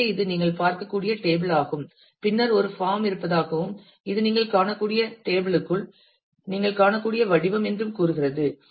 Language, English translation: Tamil, So, this is the table that you can get to see and then it also says that there is a form and this is the form that you get to see within the table you can see